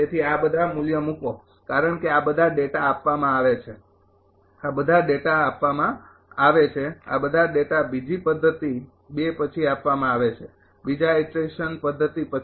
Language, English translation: Gujarati, So, put all these value because all these all these data are given, all these data are given, all these data are given after second method 2, after second iteration method